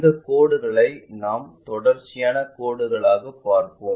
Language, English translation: Tamil, And these lines we will see as continuous lines